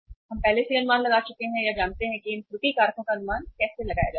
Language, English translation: Hindi, We have already estimated or known how to estimate these error factors